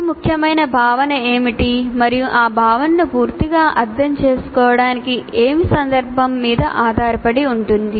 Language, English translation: Telugu, There is also in the context what is the most important concept and what is required to fully understand that concept that depends on the context